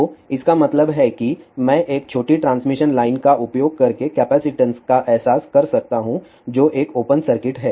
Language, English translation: Hindi, So that means, I can realize a capacitance using a small transmission line which is an open circuit